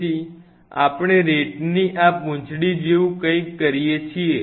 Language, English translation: Gujarati, So, we do something like this right tail of the RAT